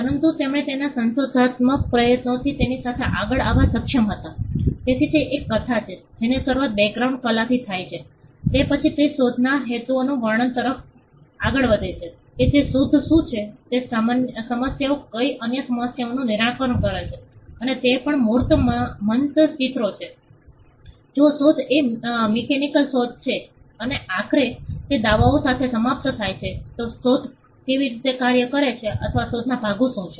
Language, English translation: Gujarati, But he with his inventive effort was able to come up with it, so it is a narrative which starts with the background art, then it goes towards describing the invention the purposes of the invention what are the problems the invention solves various other things and it also has embodiments illustration; how the invention works or what are the parts of an invention if the invention is a mechanical invention and finally, it ends with the claims